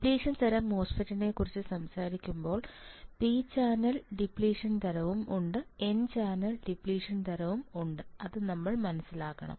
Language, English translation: Malayalam, And then when we talk about depletion type, MOSFET then we further understand that there is a n channel depletion type there is p channel depletion type